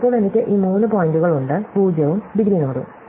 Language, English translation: Malayalam, Now, I have these three points, a 0 indegree nodes